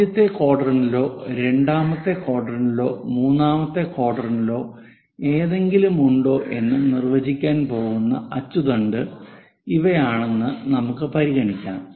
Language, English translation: Malayalam, Let us consider these are the axis which are going to define whether something is in first quadrant or second quadrant or third quadrant